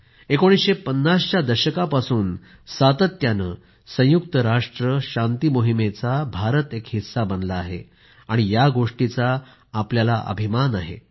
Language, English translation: Marathi, We are proud of the fact that India has been a part of UN peacekeeping missions continuously since the 1950s